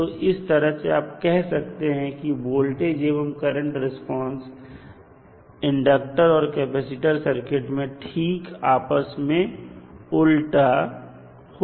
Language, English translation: Hindi, So, in that way you can say that voltage current response for l and c are opposite to each other